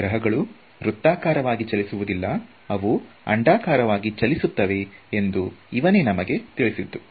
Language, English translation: Kannada, So, he was the guy who told us that planets move not in circular orbit, but elliptical orbits